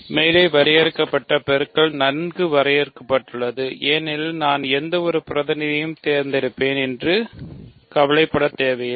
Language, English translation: Tamil, So, the multiplication defined above is well defined because I do not need to worry about which representative I pick